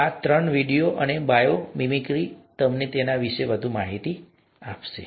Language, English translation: Gujarati, So these three, videos and bio mimicry would be able to give you more information on that